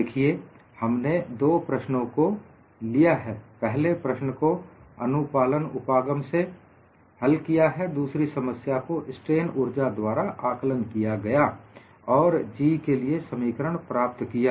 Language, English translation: Hindi, See, I have taken 2 problems: the first problem we solved by the compliance approach; the second problem we evaluated the strain energy and obtained the expression for G